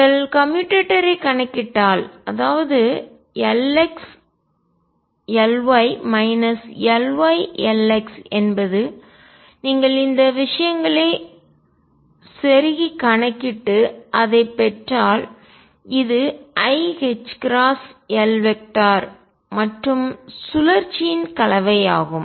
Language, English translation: Tamil, If you calculate the commutator; that means, L x L y minus L y L x if you calculate this just plug in the things and get it this comes out to be i h cross L z and the cyclic combination